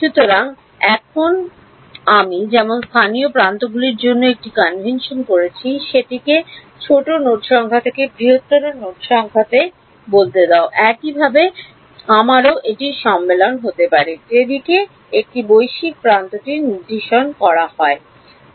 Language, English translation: Bengali, So, now, just as I had a convention for local edges, that let us say from smaller node number to larger node number, similarly I can have a convention for the direction in which a global edge should point